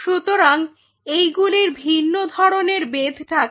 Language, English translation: Bengali, So, they have a different kind of thickness